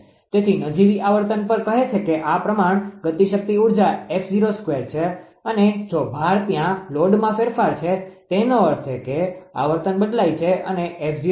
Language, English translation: Gujarati, So, if kinetic energy say at nominal frequency this is proportional to f 0 square, and if load there is change in load right; that means, the frequency has changed and was f f 0